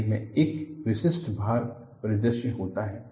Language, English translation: Hindi, And rails have a typical loading scenario